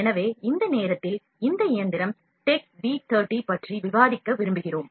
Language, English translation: Tamil, So, at this point of time, we like to discuss about this machine TECHB V30